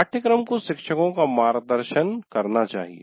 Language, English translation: Hindi, So the syllabus should guide the faculty